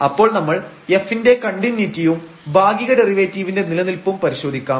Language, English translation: Malayalam, So, we will test the continuity of f and the existence of the partial derivative which is easy to see again